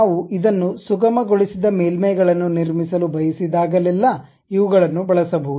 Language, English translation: Kannada, These are the things when we want to really construct a smoothened surfaces we use this